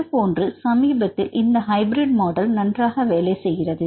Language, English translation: Tamil, So, this model also works fine right recently these hybrid models